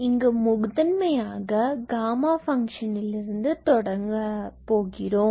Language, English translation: Tamil, So, let us start with the definition of gamma function